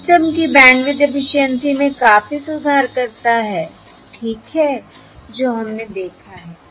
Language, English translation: Hindi, This significantly improves the bandwidth efficiency of the system